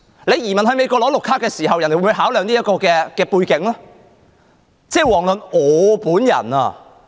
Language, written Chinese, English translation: Cantonese, 你移民到美國領取綠卡時，美國會否考量這個背景？, When you want to emigrate to the United States and get a Green Card will the United States consider this background?